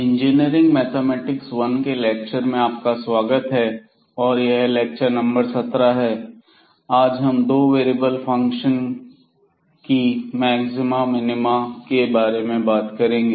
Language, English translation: Hindi, So welcome back to the lectures on Engineering Mathematics I and this is lecture number 17 and today we will be talking about the Maxima and Minima of Functions of Two Variables